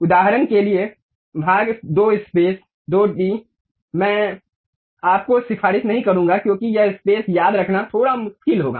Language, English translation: Hindi, For example, part 2 space 2d, I would not recommend you, because this remembering spaces will be bit difficult